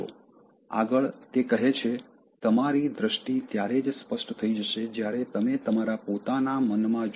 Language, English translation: Gujarati, Next, he says, “Your vision will become clear only when you can look into your own heart